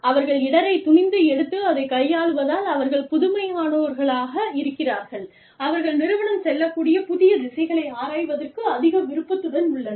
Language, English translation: Tamil, Because, they are risk takers, they are innovators, they are more willing to explore, the new directions, that the organization can move in